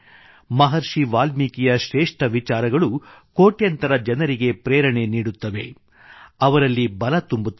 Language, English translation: Kannada, Maharishi Valmiki's lofty ideals continue to inspire millions of people and provide them strength